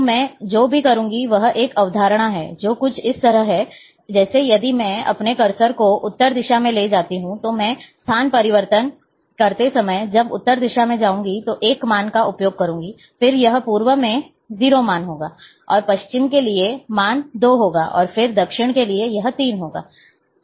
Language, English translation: Hindi, So, here what I, I have, I will be following a concept, which is a something like, a that, for, if I move my cursor, into the north direction, I will use 1 value when I move to the east, this is 0 and then to the west, 2, and then for the south, for the south, it is 3